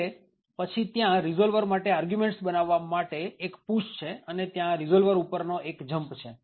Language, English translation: Gujarati, So, then there is a push to create the arguments for the resolver and then there is a jump to the resolver